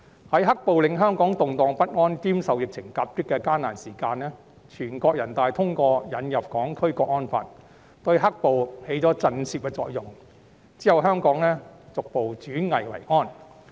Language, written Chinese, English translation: Cantonese, 在"黑暴"令香港動盪不安兼受疫情夾擊的艱難時期，全國人民代表大會通過引入《香港國安法》，對"黑暴"起了震懾作用，之後香港逐步轉危為安。, During the difficult times when Hong Kong was hit by a double whammy of the turbulence caused by rioters and the epidemic the National Peoples Congress NPC endorsed the introduction of the National Security Law which produced a shock - and - awe effect on black - clad violence . Since then Hong Kong has gradually turned the corner